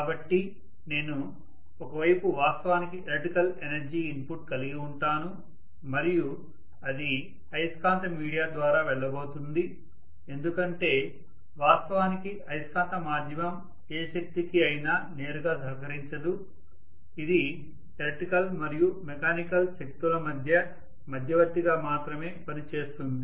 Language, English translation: Telugu, So I can have actually on one side I can have electrical energy input and it is going to go through a magnetic via media because actually the magnetic medium is not going to contribute towards any energy directly, it is only serving as a conduit between the electrical energy and mechanical energy